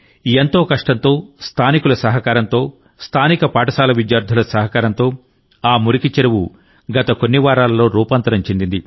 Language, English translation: Telugu, With a lot of hard work, with the help of local people, with the help of local school children, that dirty pond has been transformed in the last few weeks